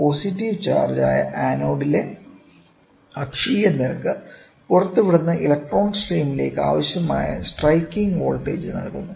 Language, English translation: Malayalam, The axial rate at anode which is positively charged provides the necessary striking voltage to the emitted electron stream